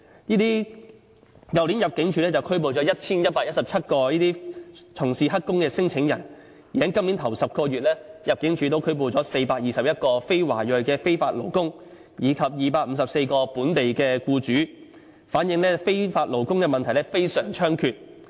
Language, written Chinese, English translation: Cantonese, 去年入境處拘捕了 1,117 名這類從事黑工的聲請人，而在今年首10個月，入境處拘捕了421名非華裔非法勞工，以及254名本地僱主，反映非法勞工問題非常猖獗。, Last year ImmD arrested 1 117 claimants who were engaging in illegal employments . In the first 10 months of this year ImmD arrested 421 non - Chinese illegal workers and 254 local employers . All this shows that the problem of illegal workers is very rampant